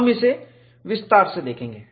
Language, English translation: Hindi, We will see that in detail